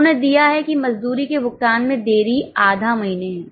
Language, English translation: Hindi, They have given that delay in the payment of wages is half month